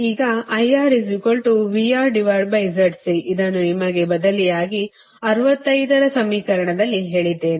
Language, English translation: Kannada, that i told you right in equation sixty five